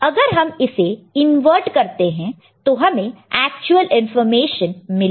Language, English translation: Hindi, And if you invert it you will get the actual information, right